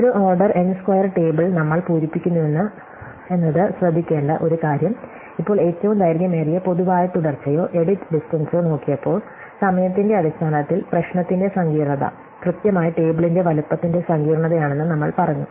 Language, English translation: Malayalam, So, one interesting thing to notice that we are filling up an order n square table, now when we looked at longest common subsequence or edit distance, we said that the complexity of the problem time wise was exactly the complexity of the size of the table